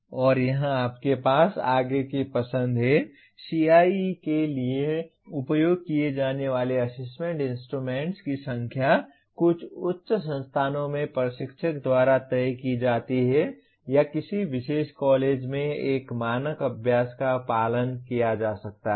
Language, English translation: Hindi, And here you have further choice, the number of Assessment Instruments used for CIE is decided by the instructor in some higher end institutions or there may be a standard practice followed in a particular college